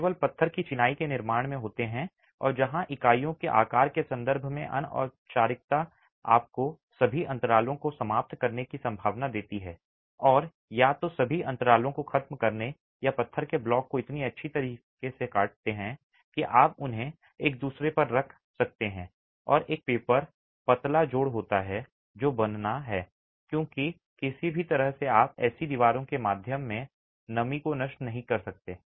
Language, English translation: Hindi, They don't happen in brick masonry constructions, they happen only in stone masonry constructions and where the informality in terms of the sizes of the units gives you the possibility of wedging all gaps and either wedging all gaps or having stone blocks cut so well that you can place them one over the other and have a paper thin joint that is formed because in any way you cannot allow moisture to just percolate through such walls